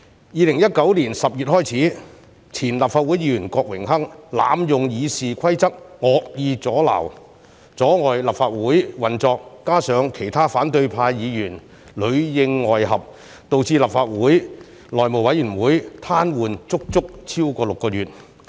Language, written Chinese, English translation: Cantonese, 2019年10月開始，前立法會議員郭榮鏗濫用《議事規則》惡意阻撓、阻礙立法會運作，加上其他反對派議員裏應外合，導致立法會內務委員會癱瘓足足超過6個月。, Since October 2019 former Member Dennis KWOK malevolently abused the Rules of Procedure to hinder the operation of the Legislative Council . Aided by seamless cooperation from the Members of the opposition camp he had paralysed the House Committee of the Legislative Council for more than six months